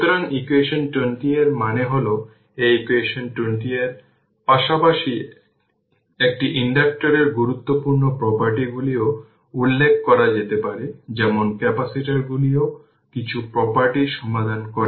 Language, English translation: Bengali, So, equation 20 that means, this equation 20 as well you are following important properties of an inductor can be noted like capacitor also we solve some property